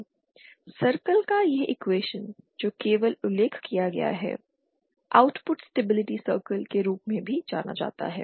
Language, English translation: Hindi, This the equation of this ,this equation of circle that is just mentioned is also known as the output stability circle